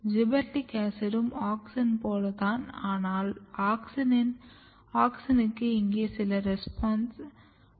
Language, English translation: Tamil, Gibberellic acid is having quite similar to the auxin, but auxin is also having some responses here